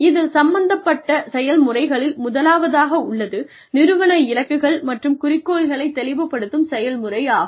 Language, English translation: Tamil, The processes involved in this are, the first one is, clarification of organizational goals and objectives